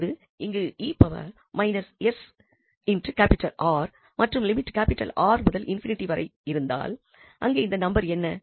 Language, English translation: Tamil, Now this s R can limit R to infinity that what is this number here